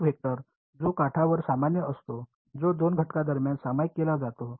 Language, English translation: Marathi, A vector which is normal to the edge, that is shared between 2 elements